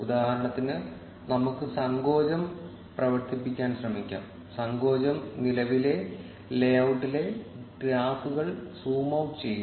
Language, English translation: Malayalam, For instance, let us try running contraction; contraction will just zoom out the graphs in the current layout